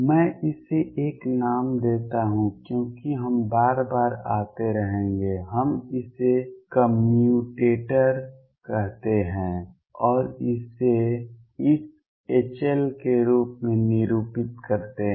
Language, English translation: Hindi, Let me give this a name because we will keep coming again and again we call this a commutator and denote it as this H L